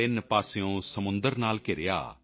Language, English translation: Punjabi, Surrounded by seas on three sides,